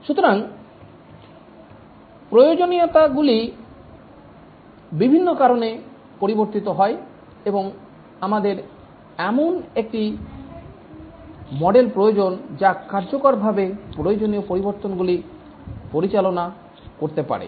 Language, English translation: Bengali, So the requirements change due to various reasons and we need a model which can effectively handle requirement changes